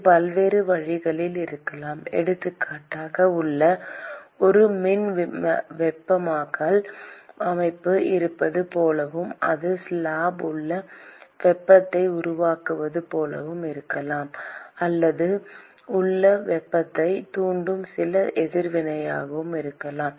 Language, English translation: Tamil, It could be many different ways, for example, it could be like there is an electrical heating system inside and so, that is generating heat inside the slab, or it could be some reaction which is inducing heat inside